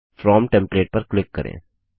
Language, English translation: Hindi, Click on From template